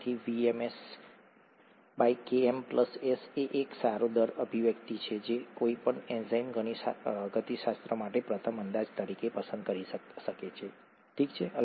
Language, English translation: Gujarati, So VmS by Km plus S is a good rate expression that one can choose as a first approximation for enzyme kinetics, okay